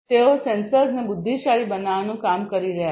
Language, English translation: Gujarati, They are working on making sensors intelligent